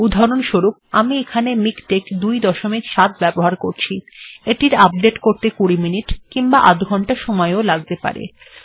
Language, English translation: Bengali, For example, here I am using MikTeX 2.7, and if I try to update it the very first time it could take about 20 minutes or even half an hour